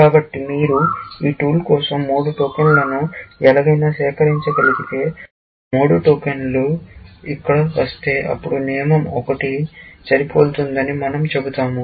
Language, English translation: Telugu, So, if you can somehow, collect three tokens for this tool one, and the three tokens arrive here, then we will say rule one is matching